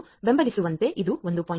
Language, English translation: Kannada, 1, it does not support 1